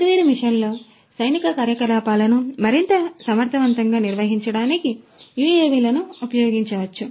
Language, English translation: Telugu, The UAVs could be used to carry out different missions military missions in a much more efficient manner